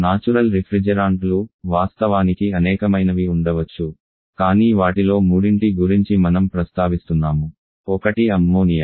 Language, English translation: Telugu, Natural refrigerants there are several one of course, but I am mentioning about 3 of them one is ammonia